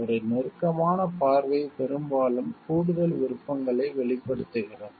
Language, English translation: Tamil, A closer look often reveals additional options